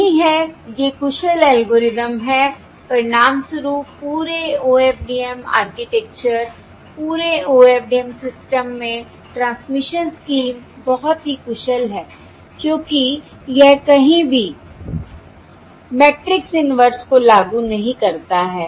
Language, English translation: Hindi, as a result, the entire OFDM architecture, the entire OFDM system transmission scheme, is very efficient since it does not employ any matrix inversion anywhere